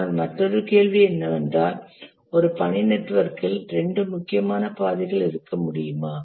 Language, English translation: Tamil, But the other question, is it possible to have two critical paths in a task network